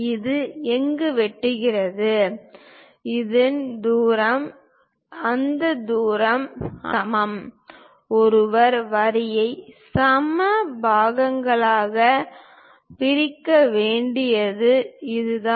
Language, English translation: Tamil, So that wherever it is intersecting; this distance, this distance, this distance all are equal; this is the way one has to divide the line into equal parts